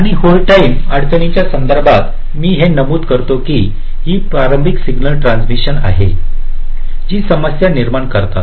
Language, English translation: Marathi, and a and with respect to the hold time constraints this i mention that these are the early signal transitions that create a problem